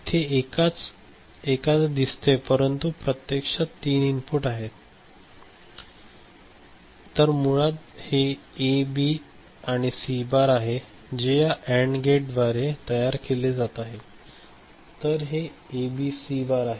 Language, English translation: Marathi, So, though there is it shows one input, actually there are three inputs, so basically it is A, B and C bar that is being generated by this AND gate ok, so this is A B C bar